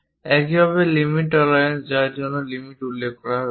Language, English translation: Bengali, Similarly limit tolerances for which limits are mentioned it can vary from 1